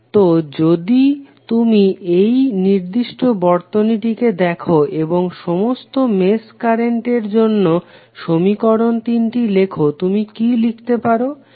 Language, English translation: Bengali, So if you see this particular circuit and you write the equations for all 3 mesh currents what you can write